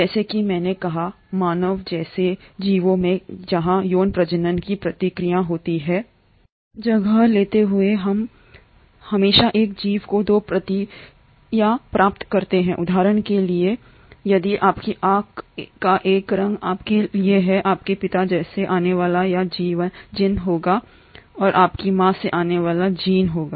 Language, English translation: Hindi, As I said, in organisms like human beings, where there is a process of sexual reproduction taking place, we always get 2 copies of a gene, say for example if for your eye colour you will have a gene coming from your father and a gene coming from your mother